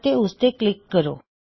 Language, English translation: Punjabi, Click on that